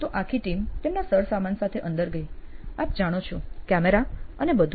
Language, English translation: Gujarati, So, the entire team went with their paraphernalia, you know notes, camera and all that